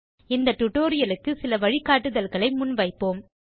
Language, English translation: Tamil, We will now present some guideline for this tutorial